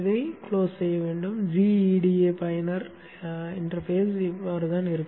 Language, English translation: Tamil, This is how the GEDA user interface will look like